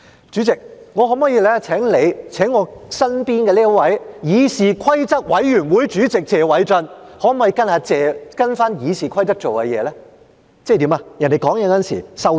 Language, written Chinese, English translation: Cantonese, 主席，我可否請你請我身旁這位議事規則委員會主席謝偉俊根據《議事規則》做事，即在其他議員發言時收聲？, President may I ask you to ask Mr Paul TSE Chairman of the Committee on Rules of Procedure who is next to me to behave according to the Rules of Procedure ie . keeping his mouth shut while another Member is speaking?